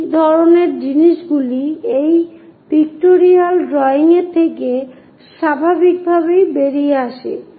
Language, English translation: Bengali, This kind of things naturally comes out from this pictorial drawing